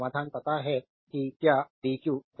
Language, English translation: Hindi, So, solution we know that it is equal to dq by dt